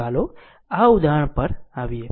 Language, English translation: Gujarati, Let us come to this example